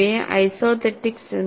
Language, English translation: Malayalam, These are called isothetics